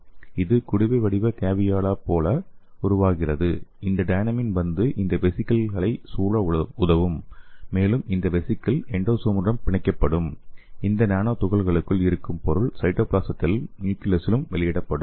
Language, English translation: Tamil, And its forms like a flask shaped caveolae and this dynamin will come and help in enclosing this vesicles and this vesicle will go and bind to this endosome and the material inside this nanoparticle will be released into the cytoplasm as well as the nucleus